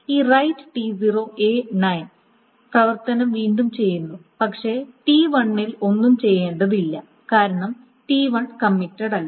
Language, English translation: Malayalam, So essentially this right T0 A to N this operation is being redone but nothing on T1 needs to be done because T1 has not committed